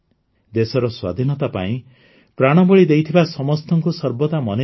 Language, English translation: Odia, We should always remember those who laid down their lives for the freedom of the country